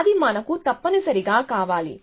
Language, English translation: Telugu, So, that is what we want essentially